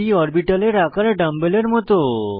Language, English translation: Bengali, p orbitals are dumb bell shaped